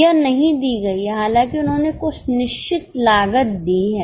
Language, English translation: Hindi, Although they have given some fixed costs